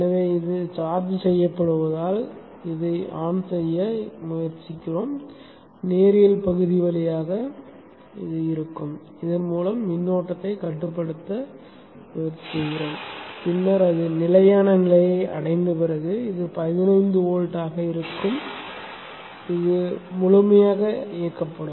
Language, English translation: Tamil, So as this is getting charged up this is trying to turn this on this goes through the linear region tries to limit the current through this and then after after it reaches stable state this would be at 15 volts and this would be fully on